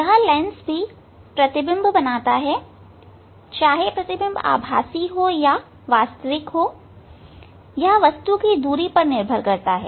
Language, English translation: Hindi, This lens produces the image whether it will be virtual image, or it will be real image, that depends on the distance of the object from the mirror